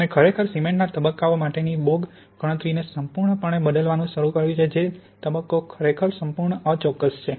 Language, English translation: Gujarati, And really has started to completely replace the Bogue calculation for the phases in cement phase which is really, completely inaccurate